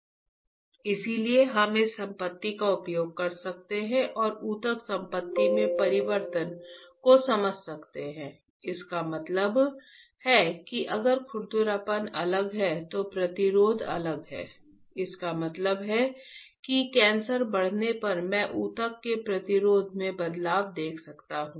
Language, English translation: Hindi, Can we use this property and understand the change in the tissue property so; that means that if the roughness is different, resistance is different; that means I can see the change in the resistance of the tissue as cancer progresses right